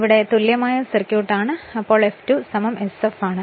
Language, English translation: Malayalam, So, here it is now equivalent circuit now it is F2 is equal to sf